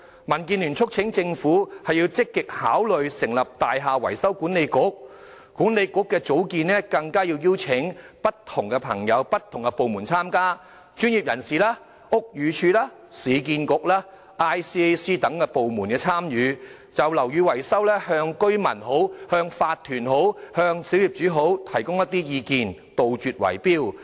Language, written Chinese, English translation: Cantonese, 民建聯促請政府積極考慮成立"大廈維修管理局"，而管理局應邀請不同界別人士、不同部門參加，包括專業人士、屋宇署、市建局、廉署等部門，就樓宇維修向居民、法團、小業主提供一些意見，杜絕圍標。, The DAB thus urges the Government to actively consider the establishment of a Building Maintenance Authority BMA . BMA should invite people from different sectors and departments including professionals the Buildings Department URA and ICAC to offer views on building maintenance to residents OCs and small property owners and wipe out bid - rigging